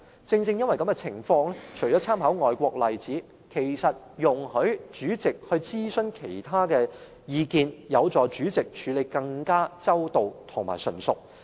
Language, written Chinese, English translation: Cantonese, 在此情況下，除參考外國例子外，容許主席諮詢其他意見會有助主席處理得更周到及純熟。, Against this background apart from drawing reference to overseas examples it will help the President to handle the scenario in a more comprehensive and skillful manner if the President is allowed to consult the views of others